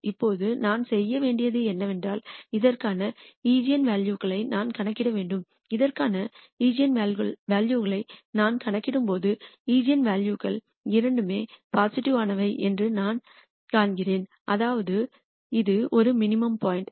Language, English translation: Tamil, Now, what I need to do is I need to compute the eigenvalues for this and when I compute the eigenvalues for this I nd the eigenvalues to be both positive, that means, that this is a minimum point